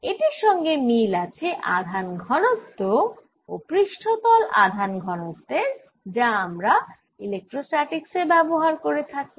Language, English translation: Bengali, this is similar to the charge density and surface charge density that we use in electrostatics